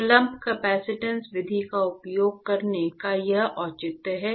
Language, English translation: Hindi, So, this is the justification for using the lumped capacitance method